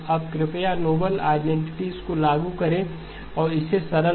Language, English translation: Hindi, Now please apply the noble identities and simplify this